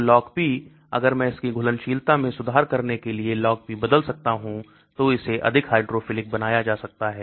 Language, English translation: Hindi, So Log P; if I can alter Log P to improve its solubility, so make it more hydrophilic